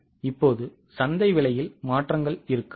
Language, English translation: Tamil, Now, there might be changes in the market prices